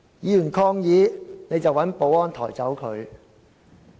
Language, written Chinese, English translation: Cantonese, 議員抗議，你便請保安抬走議員。, When Members protested you required the security officers to remove them from the Chamber